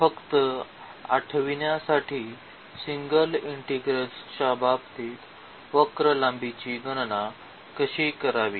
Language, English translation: Marathi, So, just to recall how do we compute the curve length in case of single integral